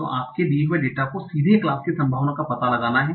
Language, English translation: Hindi, So given the data, you want to find out directly the probability of the class